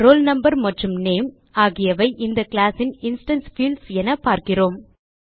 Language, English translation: Tamil, We can see that here roll no and name are the instance fields of this class